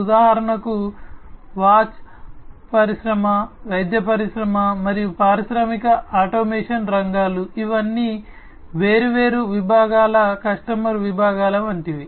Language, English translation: Telugu, For example, the watch industry, the medical industry, and the industrial automation sectors; these are all like different segmented customer segments